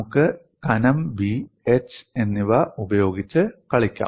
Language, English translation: Malayalam, We can play with thickness B as well as h